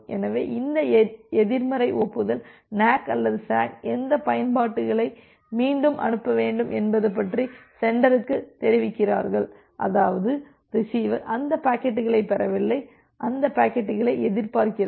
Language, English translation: Tamil, So, this negative acknowledgement NAK or SACK, they informs the sender about which packets need to be retransmitted; that means, the receiver has not received those packets and it is expecting those packets